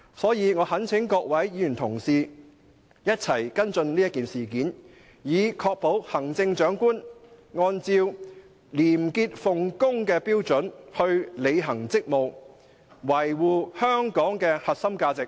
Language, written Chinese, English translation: Cantonese, 所以，我懇請各位議員同事一起跟進此事件，以確保行政長官按照廉潔奉公的標準來履行職務，維護香港的核心價值。, Hence I urge Members to join hands to follow up the incident so as to ensure the standards of probity and integrity in the Chief Executives discharge of duties and the protection of the core values upheld by Hong Kong